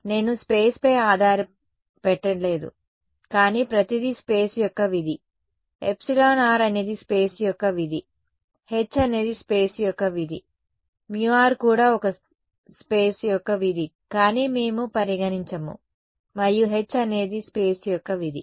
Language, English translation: Telugu, I have not put the dependence on space, but everything is a function of space, epsilon r is a function of space, h is a function of space, mu r could also be a function of space although we will not consider it and h is of course, the function of space